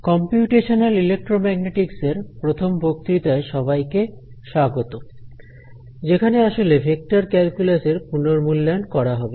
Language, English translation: Bengali, And welcome to the first lecture on Computational Electromagnetics which is the review of Vector Calculus